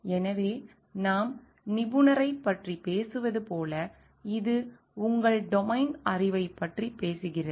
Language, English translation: Tamil, So, like if we are talking of expert so, this is talking of your domain knowledge